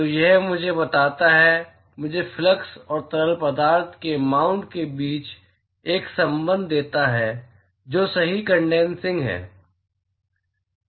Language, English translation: Hindi, So, that tells me, gives me a relationship between the flux and the mount of fluid that is condensing right